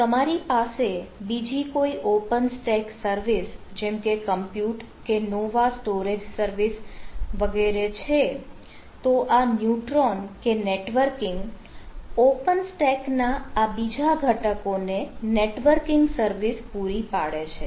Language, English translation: Gujarati, so if you have other open stack surface, like compute or nova storage services and so on, so is ah, this neutron or the networking provide a networking as a service to this, to this different component of open stack